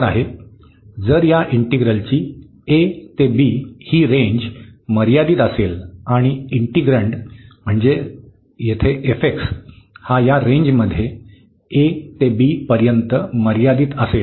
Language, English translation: Marathi, If the range here a to b of this integral is finite and the integrand so, the f x is the integrand here and that is bounded in this range a to b for x